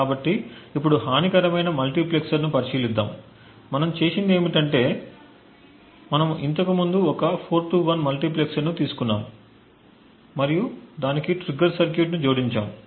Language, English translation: Telugu, So now let us consider a malicious multiplexer, so what we have done is that we have taken our 4 to 1 multiplexer before and we added a trigger circuit to it